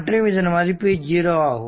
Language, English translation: Tamil, 5 is equal to 0